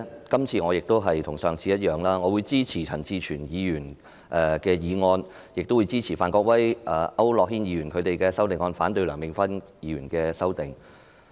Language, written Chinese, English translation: Cantonese, 今次與上次一樣，我會支持陳志全議員的議案，亦支持范國威議員和區諾軒議員的修正案，但反對梁美芬議員的修正案。, Same as last time I will support Mr CHAN Chi - chuens motion and Mr Gary FANs and Mr AU Nok - hins amendments . But I will oppose Dr Priscilla LEUNGs amendment